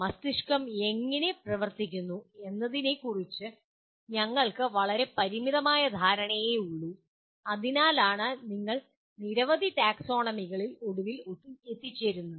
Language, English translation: Malayalam, We have a very very limited amount of understanding of how the brain functions and that is the reason why you end up having several taxonomies